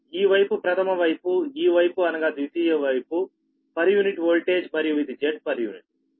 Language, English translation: Telugu, this side is primary side, this is per unit voltage, secondary side, per unit voltage and this is the z